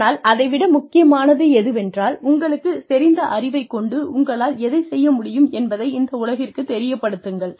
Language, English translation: Tamil, But, even more important than that is, being able to, let the world know, what you can do, with the knowledge, you have